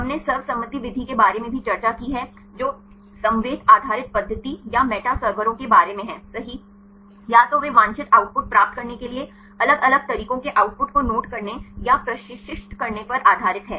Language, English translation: Hindi, We also discussed about the consensus method right the ensemble based method or the meta servers right either they take based on noting or train the output of different methods right to get the desired output